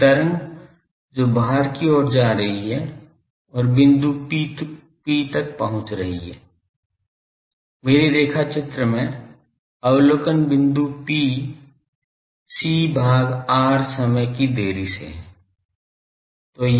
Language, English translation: Hindi, A wave which is travelling outward and reaching the point P, in my drawing that the observation point P at a delay time delay of r by c